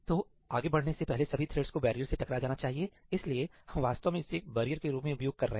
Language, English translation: Hindi, all the threads must hit the barrier before proceeding further so, we are actually using this as a barrier